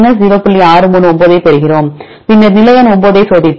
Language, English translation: Tamil, 639, then we checked position number 9